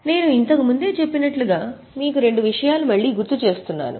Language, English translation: Telugu, As I have told earlier also I will remind you about two things